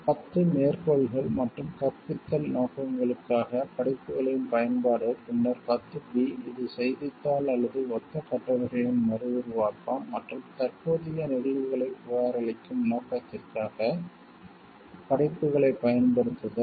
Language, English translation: Tamil, 10, quotations and use of works by way of illustration for teaching purposes like, then 10 b it is the reproduction of newspaper or similar articles and use of works for that purpose of reporting of current events